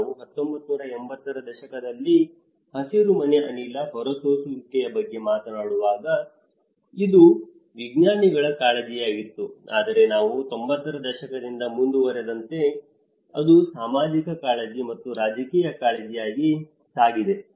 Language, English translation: Kannada, When we talk about the greenhouse gas emissions in the 1980’s, it was mostly as a scientist concerns, but as we moved on from 90’s, it has also moved towards the social; the social concern as well and the political concern